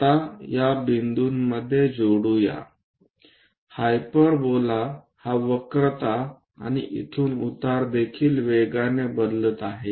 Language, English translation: Marathi, Now, join these points, hyperbola isvery fastly changing its curvature and also the slope from here